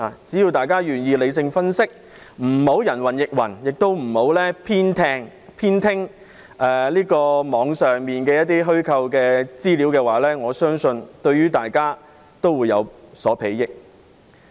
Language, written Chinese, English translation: Cantonese, 只要大家願意理性分析，不要人云亦云，也不要偏聽網上的虛構資料，我相信對大家也會有所裨益。, If we are willing to make rational analysis refuse to believe in hearsay and fabricated information on the Internet I believe all of us will benefit